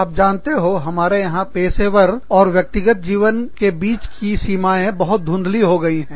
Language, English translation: Hindi, So, the boundaries between professional and personal lives, are very blurred here